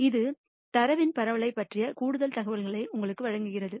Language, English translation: Tamil, This gives you a little more information about the spread of the data